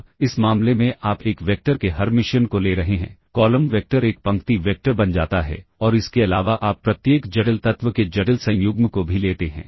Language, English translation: Hindi, Now, he in this case you are taking the Hermitian of a vector, the column vector becomes a row vector and you also in addition take the complex conjugate of each complex element